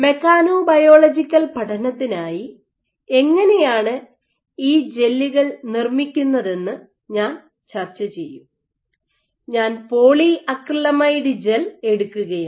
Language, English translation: Malayalam, So, I will just discuss as to how you go about making these gels for mechanobiological study I will take the polyacrylamide gel case